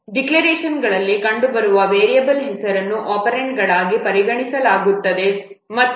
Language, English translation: Kannada, Note that the variable names appearing in the declarations they are not considered as operands